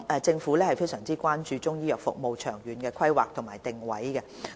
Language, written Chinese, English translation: Cantonese, 政府非常關注中醫藥服務的長遠規劃及定位。, The Government is concerned about the long - term planning and positioning of Chinese medicine services